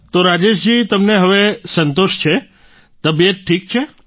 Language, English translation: Gujarati, So Rajesh ji, you are satisfied now, your health is fine